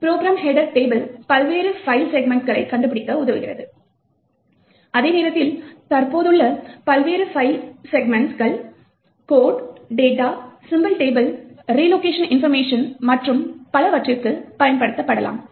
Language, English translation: Tamil, The Program header table helps to locate the various file segments, while the various segments present could be used for code, instructions, data, symbol table, relocation information and so on